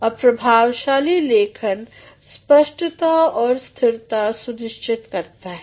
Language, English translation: Hindi, And effective writing also ensures clarity and consistency